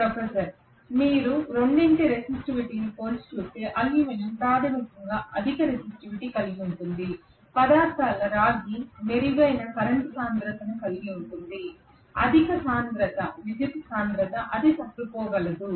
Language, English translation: Telugu, Aluminum has basically higher resistivity if you compare the resistivity of the two materials copper will have better current density, higher current density it will be able to withstand